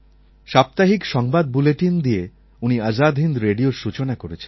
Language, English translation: Bengali, He started the Azad Hind Radio through a weekly news bulletin